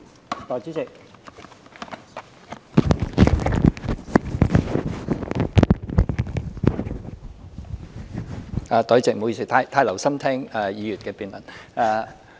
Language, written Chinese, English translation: Cantonese, 代理主席，不好意思，我太留心聽議員的辯論。, Deputy President please accept my apology I have been too attentive to the speeches of the Members in the debate